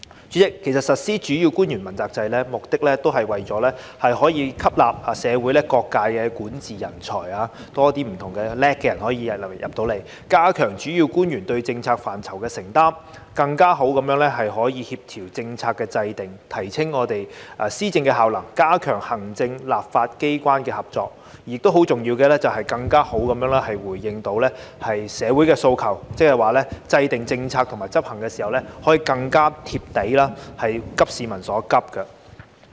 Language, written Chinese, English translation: Cantonese, 主席，其實實施主要官員問責制，目的是為了可以吸納社會各界的管治人才，更多有才華的人加入政府，加強主要官員對政策範疇的承擔，更好地協調政策的制訂，提升政府施政效能，加強行政與立法機關的合作，而很重要的是，更好地回應社會的訴求，即是說制訂政策及執行時可以更貼地，"急市民所急"。, President in fact the implementation of the accountability system for principal officials aims to attract more talented people with governance expertise from various sectors of society to join the Government enhance the accountability of principal officials in their respective policy portfolios step up coordination in policy formulation enhance the efficiency in governance of the Government strengthen cooperation between the executive authorities and the legislature and more importantly respond to the aspirations of the community in a better way . In other words the formulation and implementation of the policies can be more down - to - earth in addressing the pressing needs of the public